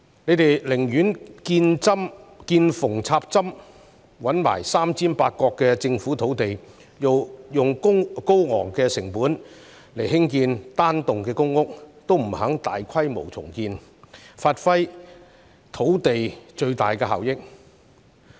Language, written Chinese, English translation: Cantonese, 政府寧願見縫插針，找來"三尖八角"的政府土地，用高昂的成本興建單幢公屋，亦不肯大規模重建，以發揮土地的最大效益。, The Government would rather construct single - block PRH buildings at a high cost on its small or irregular sites than conducting large - scale redevelopment to make the best use of land